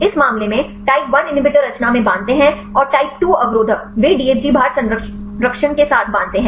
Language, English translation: Hindi, In this case type 1 inhibitors bind with in conformation and type 2 inhibitors; they bind with DFG OUT conformation